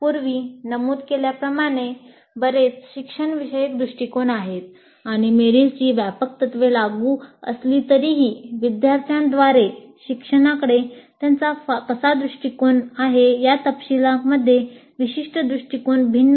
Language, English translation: Marathi, So as I mentioned, there are several instructional approaches and though the broad principles of material are applicable, the specific approaches do differ in the details of how they look at the learning by the students